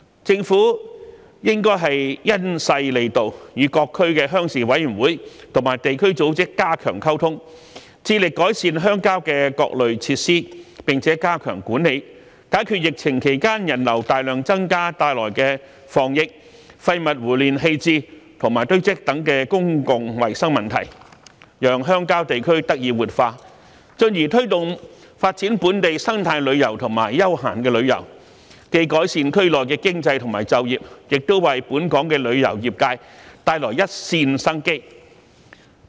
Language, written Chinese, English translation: Cantonese, 政府應該因勢利導，與各區鄉事委員會和地區組織加強溝通，致力改善鄉郊的各類設施，並加強管理，解決疫情期間人流大量增加帶來的防疫、廢物胡亂棄置和堆積等公共衞生問題，讓鄉郊地區得以活化，進而推動發展本地生態旅遊和休閒旅遊，既改善區內的經濟及就業，亦為本港旅遊業界帶來一線生機。, Taking advantage of this trend the Government should strengthen communication with different rural committees and local organizations to improve and better manage different rural facilities so as to address public hygiene issues caused by increasing flow of people to countryside during the pandemic such as those concerning disease prevention littering and waste accumulation . By so doing we can revitalize the rural areas and promote the development of local eco - tours and leisure tourism thereby improving the economy and employment situation in the areas and at the same time finding a way out for our tourism industry